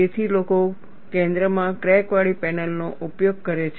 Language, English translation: Gujarati, So, people use centre cracked panels